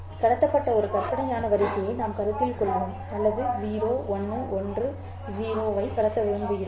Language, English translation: Tamil, Well, let us just consider a hypothetical sequence that has been transmitted or that we want to transmit 0 1 1 0